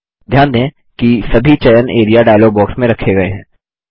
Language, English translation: Hindi, Notice that all the selection are retained in the Area dialog box